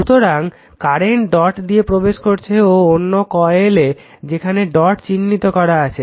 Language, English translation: Bengali, So, current is entering into the dot and this is a another coil is dot is entering marked here